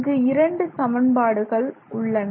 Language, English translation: Tamil, Those are the two equations that we have here